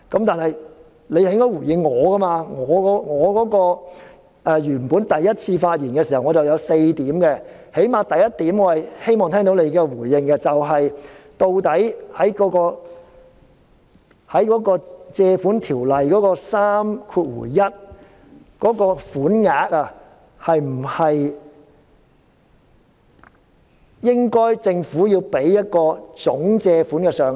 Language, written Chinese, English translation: Cantonese, 但是，他應該回應我的發言，我第一次發言時提及4點，起碼我希望聽到他對第一點的回應，即究竟在《借款條例》的第31條之下借入的款項，政府是否應該提供一個總借款上限？, But he should have responded to my speech . When I spoke the first time I mentioned four points and at least I hoped that I could hear his response to the first point I made and that is regarding the sums borrowed under section 31 of the Loans Ordinance should the Government present a ceiling for the total borrowings?